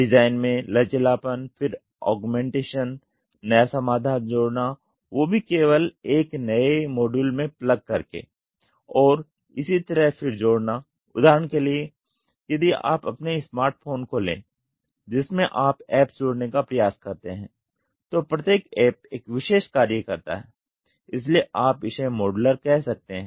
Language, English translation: Hindi, Flexibility in design right, then augmentation adding new solution by merely plugging in a in a new module and so on; for example, if you try to take your smart phone you try adding apps, each app does a particular function so you can say this as modular